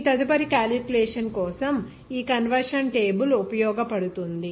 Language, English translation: Telugu, This conversion table may be useful for your further calculation